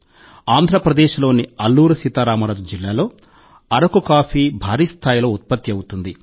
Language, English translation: Telugu, Araku coffee is produced in large quantities in Alluri Sita Rama Raju district of Andhra Pradesh